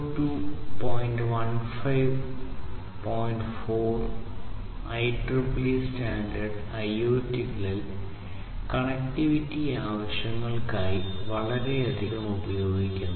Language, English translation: Malayalam, 4 IEEE standard, which is used heavily for connectivity purposes in IoT